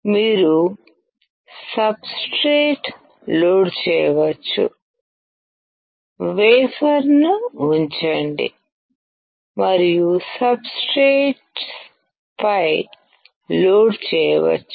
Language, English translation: Telugu, You can load the substrate, put the wafer and load onto the substrate